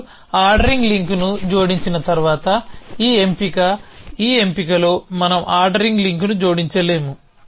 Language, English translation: Telugu, So, once you have added an ordering link is this selection we cannot add on ordering link in this selection